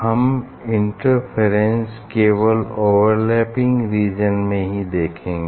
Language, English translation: Hindi, interference only we will see in the overlapping region